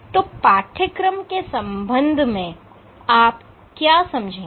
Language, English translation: Hindi, So, in terms of course what will you learn